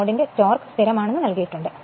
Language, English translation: Malayalam, So, given that the torque of torque of the load is constant